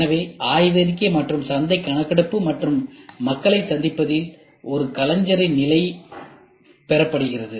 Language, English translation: Tamil, So, state of the artist from the literature as well as from the market survey and meeting people